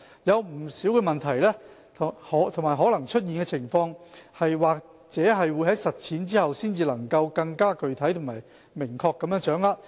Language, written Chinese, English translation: Cantonese, 有不少問題和可能出現的情況，或者在實踐後才能更具體和明確地掌握。, We will probably only have a more concrete and clearer understanding of the numerous problems and possible scenarios after the Private Columbaria Ordinance is implemented